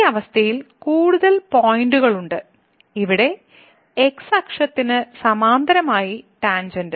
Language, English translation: Malayalam, So, in this particular situation we are getting more than one point where the tangent is parallel to the